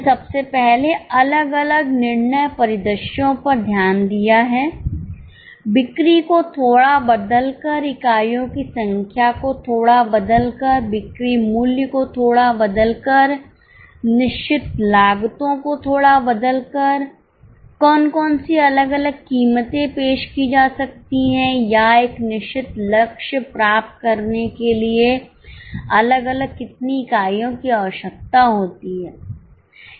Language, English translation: Hindi, Firstly, we have looked at different decision scenarios with tweaking of sales, with tweaking of number of units, with tweaking of selling prices, with tweaking of fixed costs, what different prices can be offered or what different units are required for achieving certain target